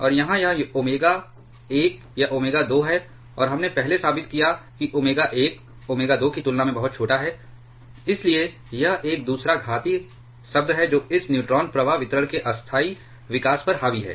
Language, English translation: Hindi, And here this is omega one this is omega 2 and we proved earlier omega one is extremely small compared to omega 2 therefore, it is a second exponential term which dominates the temporal growth of this neutron flux distribution